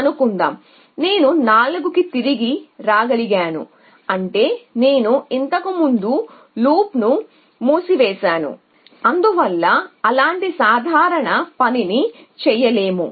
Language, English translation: Telugu, Now, I able to came back 4 which means I close the loop earlier and so I come do a simple thing like that